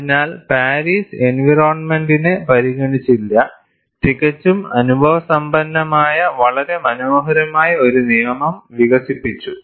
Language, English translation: Malayalam, So, Paris did not consider the environment and developed a very elegant law, which is purely empirical